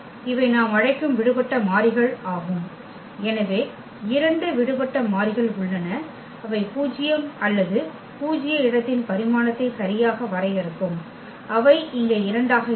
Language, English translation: Tamil, So, these are the free variables which we call, so there are two free variables and that will define exactly the nullity or the dimension of the null space that will be 2 here